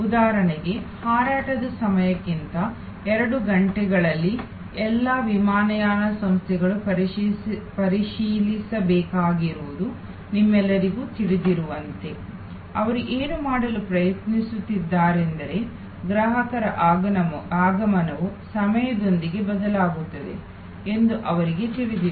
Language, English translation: Kannada, For example, as you all of you know that all airlines one due to check in two hours before the flight time, what they are trying to do is they know that the arrival of customer's will be varying with time